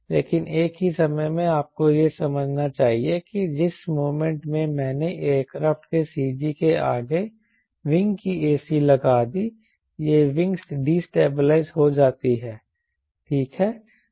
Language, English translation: Hindi, but same time, you should understand, the moment i put a c of the wing ahead of c g of the aircraft, is wing become destabilizing, right